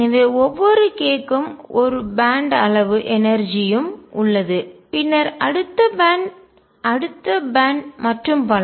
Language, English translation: Tamil, So, for each k there is a band of energies and then the next band and then next band and so on